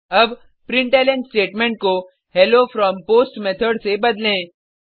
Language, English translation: Hindi, Now, change the println statement to Hello from POST Method